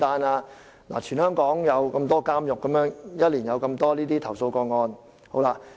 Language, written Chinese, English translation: Cantonese, 這是全港各個監獄在1年內接收的投訴個案數目。, This is the number of complaints received from various institutions in Hong Kong in one year